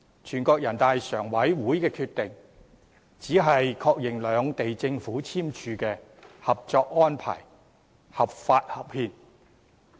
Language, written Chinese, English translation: Cantonese, 全國人民代表大會常務委員會的決定只是確認兩地政府簽署的《合作安排》合法和合憲。, The Decision of the Standing Committee of the National Peoples Congress only serves to endorse the legality and constitutionality of the Co - operation Arrangement signed by the two Governments